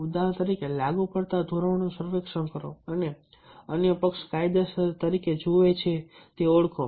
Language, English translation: Gujarati, for example, survey the applicable standards and norms, identify the ones the other party views as legitimate in negotiation